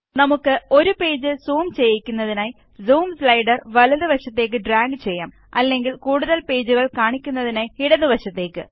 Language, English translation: Malayalam, We can also drag the Zoom slider to the right to zoom into a page or to the left to show more pages